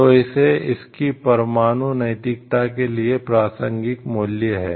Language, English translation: Hindi, So, these are relevant values which are there for their nuclear ethics